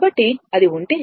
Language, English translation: Telugu, So, if it is